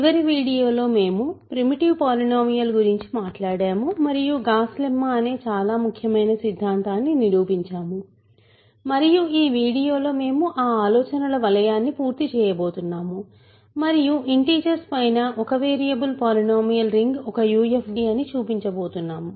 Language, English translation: Telugu, In the last video we talked about primitive polynomials and proved a very important theorem called Gauss lemma and in this video, we are going to finish that circle of ideas and show that the polynomial ring over integers in one variable polynomial ring in one variable over the integers is a UFD